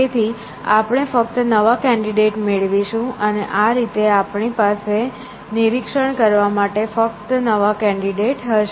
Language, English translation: Gujarati, So, we will only get new candidates, and in this ways, we will only had new candidate to inspect